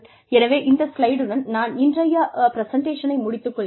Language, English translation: Tamil, So, I will end the presentation with this slide today